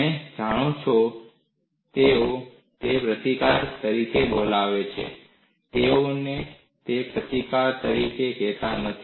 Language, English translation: Gujarati, They call it as resistance; they do not call it as resistance rate